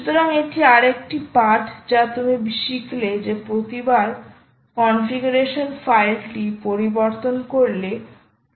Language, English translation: Bengali, so this is another lesson that you learn: that every time you modify the configuration file, you must restart the demon so that changes are affected